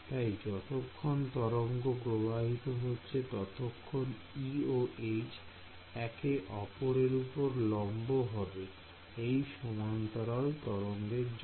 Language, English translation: Bengali, So, as long as so, the wave is travelling over here my E and H are going to be in orthogonal directions for a plane wave right